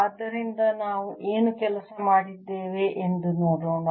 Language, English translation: Kannada, so let us see what we had worked on